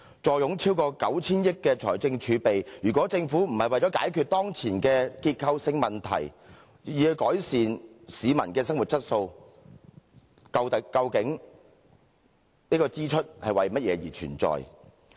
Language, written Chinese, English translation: Cantonese, 坐擁超過 9,000 億元的財政儲備，如果政府不是為了解決當前的結構性問題，以改善市民的生活質素，究竟這支出是為了甚麼而存在？, If the Government sitting on over 900 billion of fiscal reserves does not spend to resolve the structural problems now facing us so as to improve peoples quality of life what is the purpose of its expenditure?